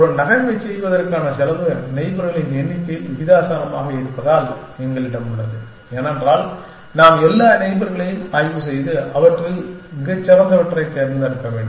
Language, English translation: Tamil, Because the cost of making a move is proportional to the number of neighbors, that we have because, we have to inspect all the neighbors and then pick the best amongst them